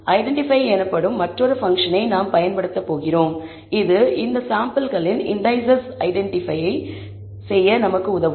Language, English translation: Tamil, We are going to use another function called identify, that will help us identify the indices of these samples